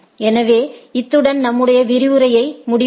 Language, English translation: Tamil, So, with this let us conclude our lecture